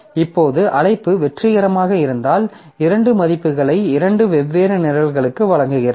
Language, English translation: Tamil, Now if the call is successful then it returns two values and two values to different programs